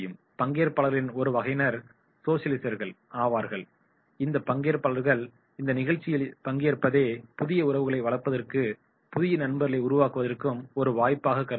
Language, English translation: Tamil, Then there will be the socialiser, these participants regard their participation in the program as an opportunity to cultivate new relationships and make new friends